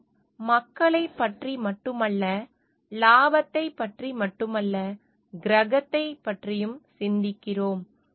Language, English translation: Tamil, And we are thinking not only of the people, we are not only thinking of the profit, and but we are also thinking of the planet